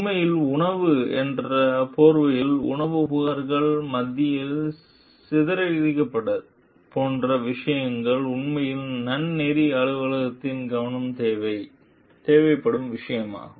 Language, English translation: Tamil, So, actually in the guise of the food like scattered among the food complaints are matters that really require the attention of the ethics office